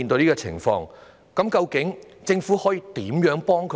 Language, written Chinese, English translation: Cantonese, 究竟政府可以如何幫他們？, How can the Government help them?